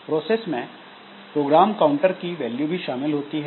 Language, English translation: Hindi, So, the process includes the value of the program counter